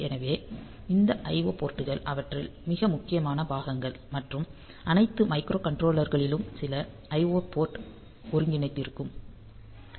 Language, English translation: Tamil, So, this I O ports are very important parts in them and all micro controllers, they will have some I O port integrated into them